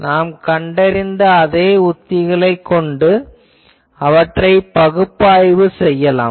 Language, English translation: Tamil, They can be analyzed by the same techniques that we have found